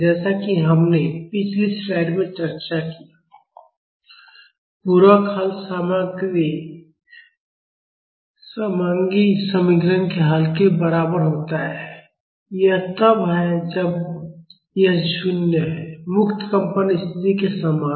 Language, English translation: Hindi, As we have discussed in the previous slide, the complementary solution is equal to the solution of homogeneous equation; that is when this is 0, similar to the free vibration condition